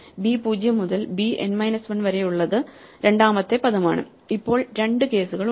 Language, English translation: Malayalam, So, a 0 to a n minus 1 is the first word b 0 to b n minus 1 is the second word and now there are two cases